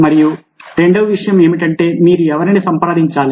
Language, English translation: Telugu, and second thing, that who is should you get in touch with